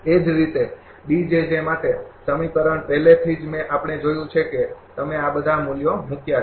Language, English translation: Gujarati, Similarly, expression for D j j already we have seen you put all these values